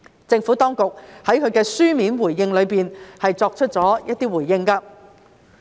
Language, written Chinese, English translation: Cantonese, 政府當局在其書面回應中已逐一作出回覆。, The Administration has provided replies to each of the above questions in its written response